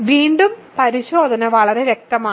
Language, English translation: Malayalam, So, again the test is very clear